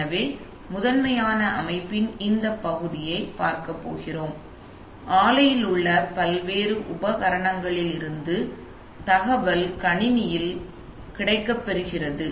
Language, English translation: Tamil, So, we are primarily going to look at this part of the system where from various equipment on the plant, the data gets into the computer right, so